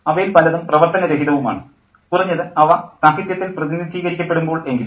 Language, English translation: Malayalam, Many of them are very dysfunctional, at least when they're represented in literature